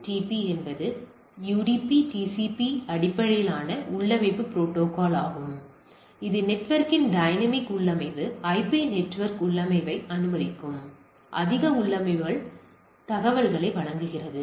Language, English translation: Tamil, So, it is a alternative to RARP, BOOTP is a UDP/IP based configuration protocol provide much more configuration information allows dynamic configuration of the network IP network configuration